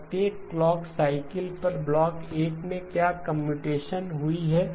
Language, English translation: Hindi, Block 1 at every clock cycle what is the computation that has happened